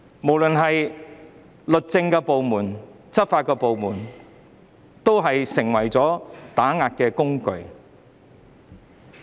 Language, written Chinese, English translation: Cantonese, 不論是律政部門還是執法部門，皆成為了打壓工具。, Whether speaking of the justice department or law enforcement agencies they have invariably turned into a tool for suppression